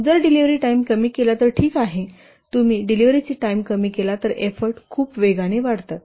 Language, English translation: Marathi, So if the delivery time is reduced, here you can see that if the delivery time is reduced, the effort increases very rapidly